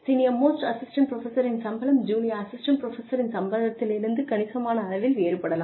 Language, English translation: Tamil, The salary of the senior most assistant professor, could be significantly different from, the salary of the junior most assistant professor